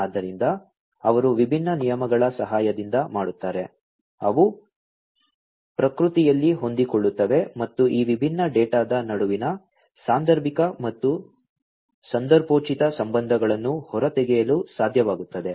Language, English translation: Kannada, So, that they do with the help of different rules, which are adaptive in nature, and which are able to extract the causal and contextual relationships between these different data